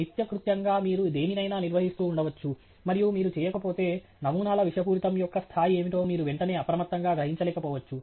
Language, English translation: Telugu, As a matter of routine, so you may be handling something, and you do not, you may not be immediately always alert to exactly what is the level of toxicity of the things